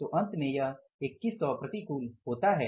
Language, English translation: Hindi, This is going to be 2100 adverse